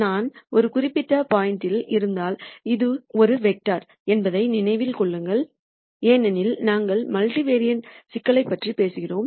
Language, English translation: Tamil, So, remember this is also vector because we are talking about multivariate problems